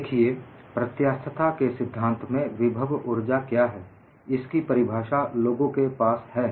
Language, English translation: Hindi, See, in theory of elasticity, people have a definition of what is potential energy